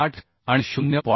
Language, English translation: Marathi, 8 and 0